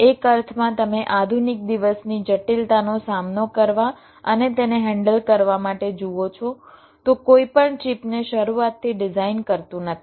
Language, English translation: Gujarati, you see, to tackle and handle the modern day complexity, no one designs the chips from scratch